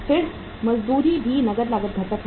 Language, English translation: Hindi, Then the wages are also the cash cost component